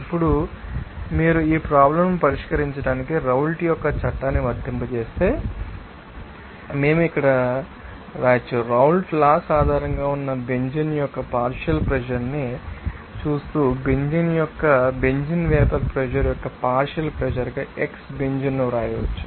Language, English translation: Telugu, Now, if you apply the Raoult’s law to solve this problem, we can write here, watching the partial pressure of the benzene that is based on that you know Raoult’s law we can write x benzene into you know that partial pressure of benzene vapor pressure of benzene